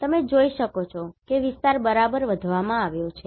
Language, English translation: Gujarati, You can see the area has been increased right